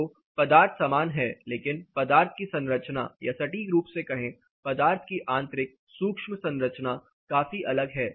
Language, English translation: Hindi, So, the material remains the same, but the internal micro structure of the material more precisely is considerably the different